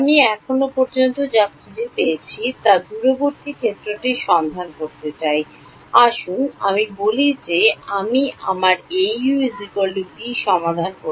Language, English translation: Bengali, Now I want to find out the far field what I have found out so far, let us say I solved my Au is equal to b